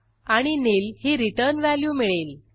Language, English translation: Marathi, And We get the return value as nil